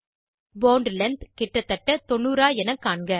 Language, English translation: Tamil, Ensure that Bond length is around 90